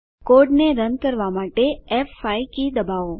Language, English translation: Gujarati, Press F5 key to run the code